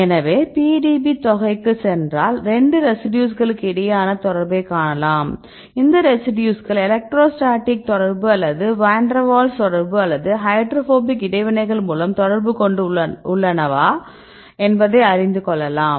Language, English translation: Tamil, So, if you go to the PDB sum you can see the contact between 2 residues, and which type of interactions these residues make where the electrostatic interaction or Van Der Waals interactions or hydrophobic interactions and so on right